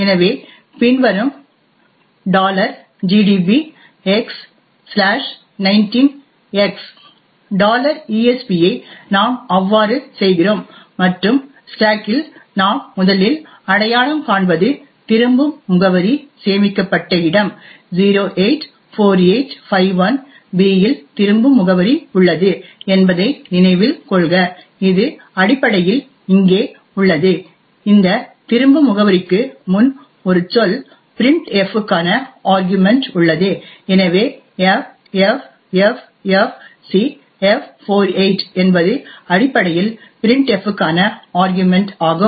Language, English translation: Tamil, So we do so as follows x/19x $esp and the first thing we would identify on the stack is the location where the return address is stored, so note that a return address is present in 084851b which is essentially present here, one word before this return address is where the arguments to printf is present, so ffffcf48 is essentially the argument for printf which essentially is the address of user string